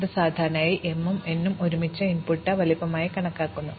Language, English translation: Malayalam, So, usually m and n together are taken to be the input size